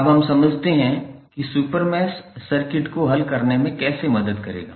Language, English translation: Hindi, Now, let us understand how the super mesh will help in solving the circuit